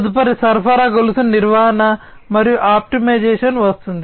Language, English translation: Telugu, Next comes supply chain management and optimization